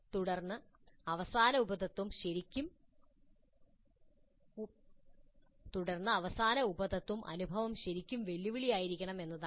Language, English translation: Malayalam, Then the last sub principle is that the experience must really be challenging